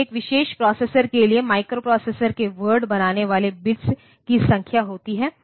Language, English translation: Hindi, So, the number of bits that form the word of a microprocessor is fixed for a particular processor